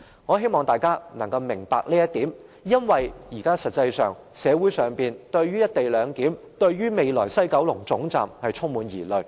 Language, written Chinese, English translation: Cantonese, 我希望大家能夠明白這一點，因為現時社會上對"一地兩檢"和未來的西九龍站充滿疑慮。, I hope Members can understand this point because now society is full of doubts about the co - location arrangement and the future WKS